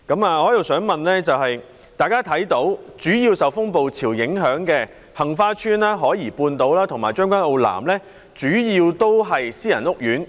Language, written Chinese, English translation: Cantonese, 我的補充質詢是，大家看到主要受風暴潮影響的杏花邨、海怡半島和將軍澳南，主要都是私人屋苑。, I have this supplementary question . As we can all see Heng Fa Chuen South Horizons and Tseung Kwan O South which were subjected to the impact of the storm surge are mainly private housing estates